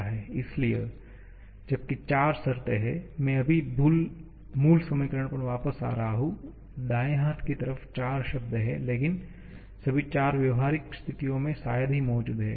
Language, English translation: Hindi, So, while there are 4 terms, I am just going back to the original equation, there are 4 terms on the right hand side but all 4 are hardly present in a practical situations